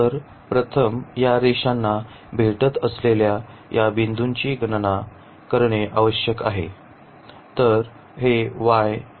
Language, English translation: Marathi, So, first we need to compute these points where these lines are meeting